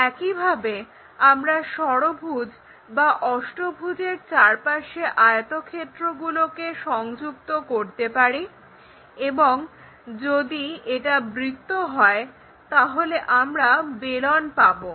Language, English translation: Bengali, Similarly, these rectangles connected in hexagonal framework and maybe in octagonal, if it is circle we get cylinders